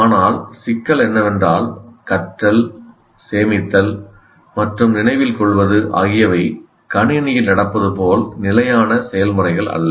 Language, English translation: Tamil, But the problem is letting, storing and remembering are not fixed processes like they happen in the computer